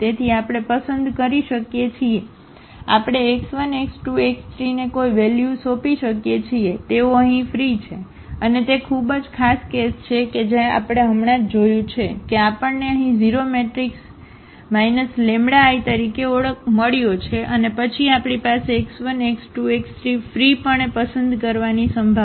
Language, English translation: Gujarati, So, we can choose, we can assign any value to x 1 x 2 x 3 they are free here and that is a very special case which we have just seen now, that we got the 0 matrix here as A minus lambda I and then we have the possibility of choosing this x 1 x 2 x 3 freely